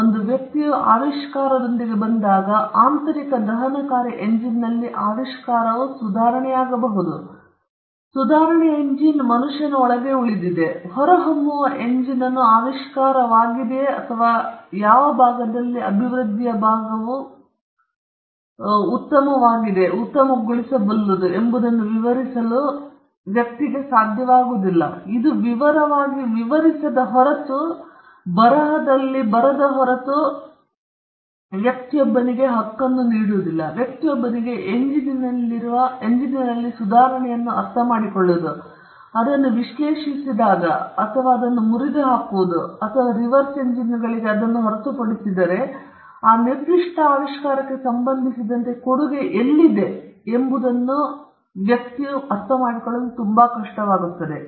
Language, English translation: Kannada, When a person comes up with an invention, the invention could be improvement in an internal combustion engine that could be an invention; the improvement rests inside the engine; it is not possible for a person who sees the engine from outside to ascertain where the invention is or which part of the improvement actually makes the engine better, unless it is described in detail, in writing, it will be very hard for a person to understand the improvement in the engine, unless he analyzes it or he breaks it down or he reverse engineers it, it will be very hard for that person to understand where the contribution is with regard to that particular invention